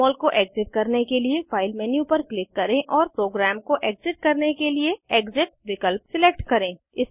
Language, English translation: Hindi, To exit Jmol, click on the File menu and select Exit option, to exit the program